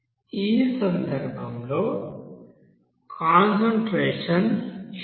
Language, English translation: Telugu, Here in this case final concentration is n2 this